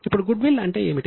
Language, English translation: Telugu, Now what is goodwill